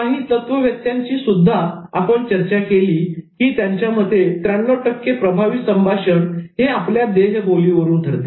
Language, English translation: Marathi, And interestingly, we discuss about theorists who say that 93% of communication effectiveness is determined by body language